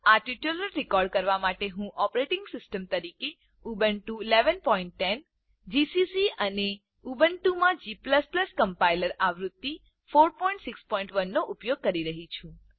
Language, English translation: Gujarati, To record this tutorial, I am using: Ubuntu 11.10 as the operating system gcc and g++ Compiler version 4.6.1 in Ubuntu